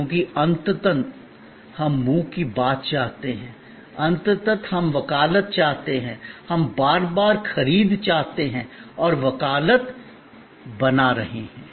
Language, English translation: Hindi, Because, ultimately we want the word of mouth, ultimately we want advocacy, we want repeat purchase and creating advocacy